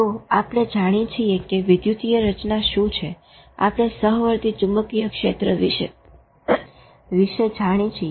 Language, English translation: Gujarati, So, we know about electrical pattern, we know about the concomitant magnetic field